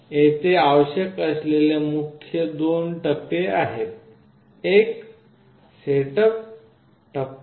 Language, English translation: Marathi, The main phases that are required here are two, one is the setup phase